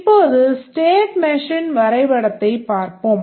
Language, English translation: Tamil, Now let's look at the state machine diagram